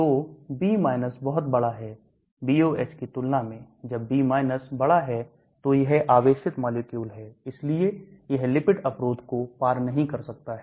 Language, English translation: Hindi, So B is very large when compared to BOH when B is large so it is a charged molecule so it cannot cross the lipid barrier